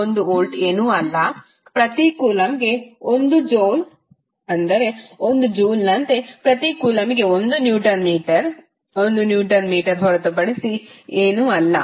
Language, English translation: Kannada, 1 volt is nothing but 1 joule per coulomb that is nothing but 1 newton metre per coulomb because 1 joule is nothing but 1 newton metre